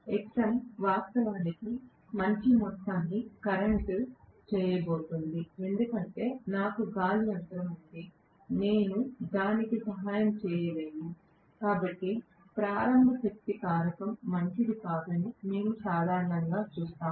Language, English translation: Telugu, Xm actually is also going to draw a good amount of current because I have air gap, I cannot help it, so we will see normally that the starting power factor is not good, starting power factor of an induction motor is not good